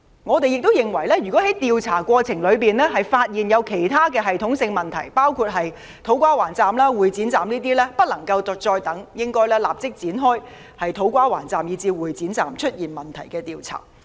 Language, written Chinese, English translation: Cantonese, 我們亦認為，在調查過程中如發現其他系統性問題，包括土瓜灣站及會展站，便不能再等，應立即就出現問題的車站工程展開調查。, We also hold that should other systemic problems including those in To Kwa Wan Station and Exhibition Centre Station be identified during the inquiry no further delay should be allowed and an inquiry into the stations in question should commence immediately